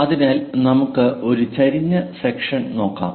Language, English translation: Malayalam, So, let us look at an inclined section